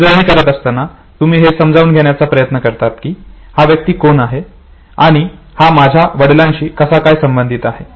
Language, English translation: Marathi, So, while rehearsing it, you try to understand who this man is and what in what way is he related to my father